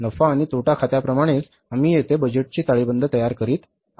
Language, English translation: Marathi, So like the profit and loss account, here we are preparing the budgeted balance sheet